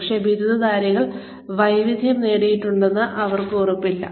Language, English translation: Malayalam, But, they are no guarantee that, graduates have mastered skills